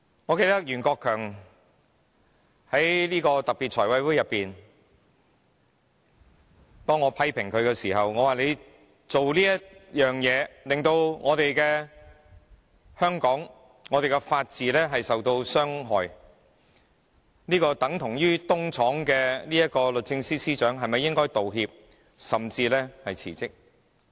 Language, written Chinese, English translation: Cantonese, 我記得在財務委員會特別會議上，我批評袁國強的做法，令香港的法治受到傷害，等同於"東廠"的律政司司長是否應道歉，甚至辭職？, I recall that at a special meeting of the Finance Committee I critized Rimsky YUEN for his approach which harmed the rule of law in Hong Kong . I asked whether the Secretary for Justice who acted as the East Yard should tender apologies or even a resignation . He responded that he did not have the final say